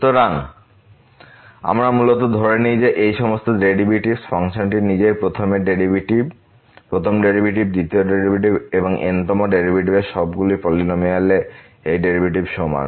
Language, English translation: Bengali, So, what we assume basically that all these derivatives, the function value itself the first derivative, the second derivative, and th derivative they all are equal to this derivative of the polynomial